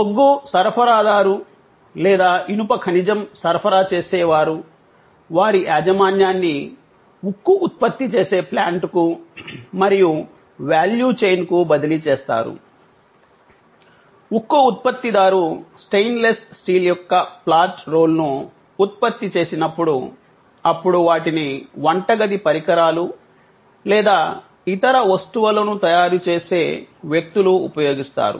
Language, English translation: Telugu, The supplier of coal or supplier of iron ore would be transferring the ownership of those to the plant producing steel and across the value chain, when the steel producer produces flat role of stainless steel, they will be then used by people manufacturing, kitchen equipment or other stuff